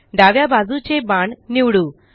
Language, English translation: Marathi, Lets select the left most arrow